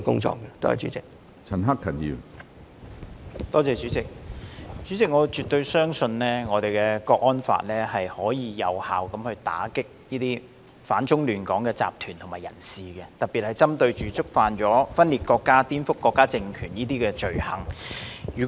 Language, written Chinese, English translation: Cantonese, 主席，我絕對相信《香港國安法》能有效打擊反中亂港的集團及人士，特別是針對觸犯分裂國家、顛覆國家政權等罪行的人士。, President I absolutely believe that HKNSL can effectively combat organizations and persons that oppose China and disrupt Hong Kong especially those who commit the offences of secession subversion etc